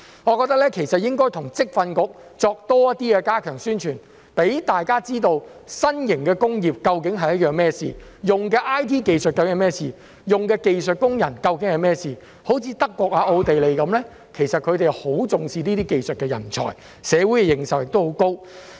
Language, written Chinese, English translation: Cantonese, 我認為應該與職業訓練局加強宣傳，讓大家知道新型的工業究竟是甚麼一回事、使用的 IT 技術究竟是甚麼一回事、使用的技術工人究竟是甚麼一回事，有如德國、奧地利般，他們很重視技術人才，社會對此的認受亦很高。, I think we should step up publicity with VTC to let people know what the new industries are all about what the IT technology used is all about and what the skilled workers engaged are all about . As in the case of Germany and Austria they attach great importance to skilled talents who are highly regarded by society